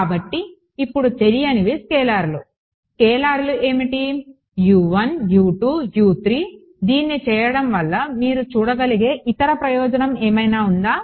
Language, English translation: Telugu, So, unknowns now are scalars what are the scalars U 1, U 2, U 3 ok, any other advantage that you can see of having done this